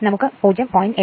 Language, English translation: Malayalam, So, a 0